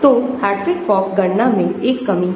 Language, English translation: Hindi, so the Hartree Fock calculation has a built in deficiency